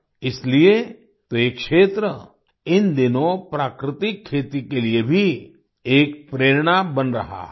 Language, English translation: Hindi, That is why this area, these days, is also becoming an inspiration for natural farming